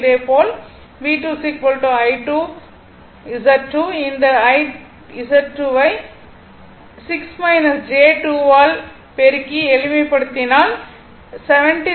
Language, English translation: Tamil, Similarly, V2 is equal to I2 Z2 this is IZ2 is 6 minus j 2 multiply and simplify you will get 76